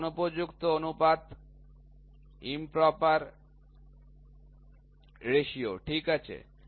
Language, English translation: Bengali, This is the improper ratio, ok